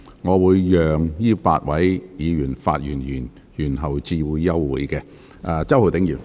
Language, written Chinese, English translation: Cantonese, 我會讓這8位議員發言完畢後才宣布休會。, I will allow these eight Members to speak and adjourn the meeting after they have spoken